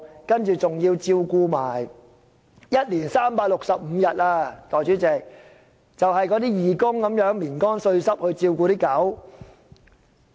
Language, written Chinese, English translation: Cantonese, 代理主席，一年365天，就是義工們"眠乾睡濕"地照顧狗隻。, Deputy Chairman the volunteers are dedicated to taking care of those dogs